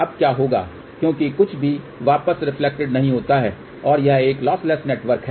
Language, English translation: Hindi, What will happen now since nothing is reflected back and this is a lossless network